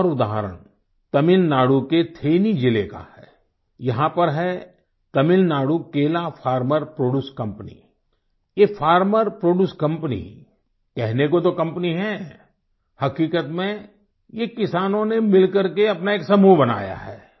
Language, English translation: Hindi, Another example is from then district of Tamil Nadu, here the Tamil Nadu Banana farmer produce company; This Farmer Produce Company is a company just in name; in reality, these farmers together have formed a collective